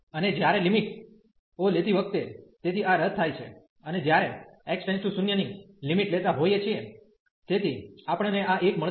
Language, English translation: Gujarati, And when taking the limits, so here this is cancel out and when taking the limit x approaching to 0, so we will get this as 1